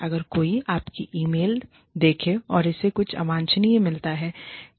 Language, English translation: Hindi, If somebody is going through your mail, and finds something, undesirable